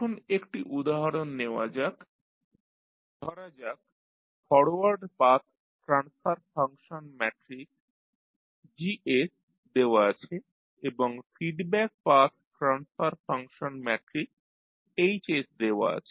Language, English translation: Bengali, Now, let us take one example suppose forward path transfer function matrix is Gs given and the feedback path transfer function matrix is Hs it is given